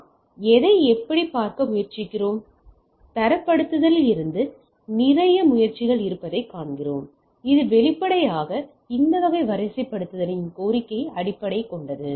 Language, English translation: Tamil, So, what we try to look at, what we see that there is a lot of effort from the standardization which obviously, there is based on the demand of this type of deployment